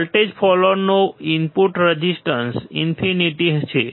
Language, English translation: Gujarati, The input resistance of the voltage follower is infinite